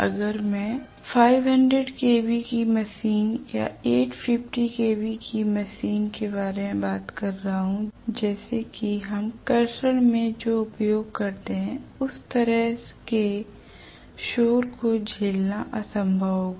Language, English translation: Hindi, If I am talking about a 500 kilo watt machine or 850 kilo watt machine like what we use in traction it will be impossible to withstand that kind of a noise